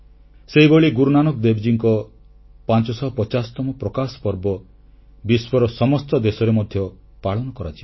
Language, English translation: Odia, Guru Nanak Dev Ji's 550th Prakash Parv will be celebrated in a similar manner in all the countries of the world as well